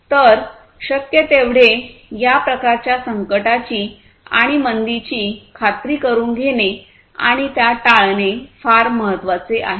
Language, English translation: Marathi, So, it is very important to ensure and avoid this kind of crisis and recession as much as possible